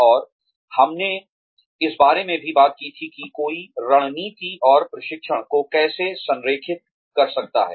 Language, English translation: Hindi, And, we had also talked about, how one can align strategy and training